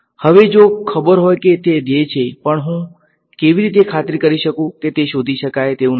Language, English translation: Gujarati, Now, if know that is the goal, but how do I make sure that it is not detectable